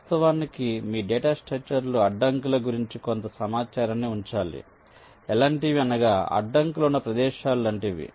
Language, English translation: Telugu, of course you have to keep some information about the obstacles in your data structure, that these are the places where some obstacles are there